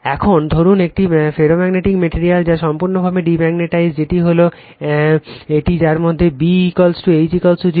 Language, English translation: Bengali, Now, suppose let a ferromagnetic material, which is completely demagnetized that is one in which B is equal to H is equal to 0